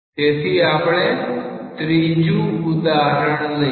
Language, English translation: Gujarati, So, let us take the third example